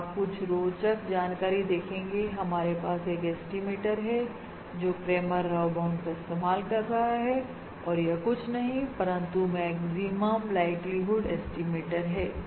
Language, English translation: Hindi, And you will notice something very interesting: that we already have an estimator which uses Cramer Rao bound and that is nothing but the maximum likelihood estimate